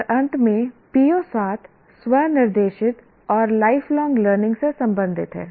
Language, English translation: Hindi, O 7 is related to self directed and lifelong learning